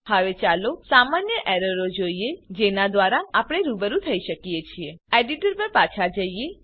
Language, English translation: Gujarati, Now let us see the common errors which we can come across switch back to our text editor